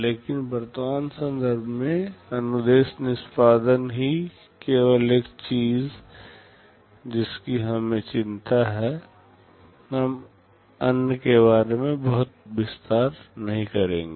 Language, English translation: Hindi, But in the present context, since instruction execution is the only thing we are concerned about, we shall not be going to too much detail about the other ones